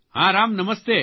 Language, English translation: Gujarati, Yes Ram, Namaste